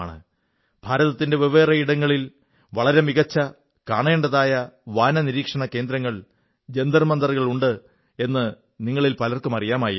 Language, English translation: Malayalam, Many of you might be aware that at various places in India, there are magnificent observatories Jantar Mantars which are worth seeing